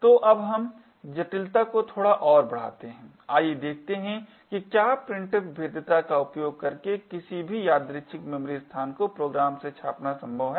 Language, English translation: Hindi, let us see if it is possible to use of printf vulnerability to print any arbitrary memory location from the program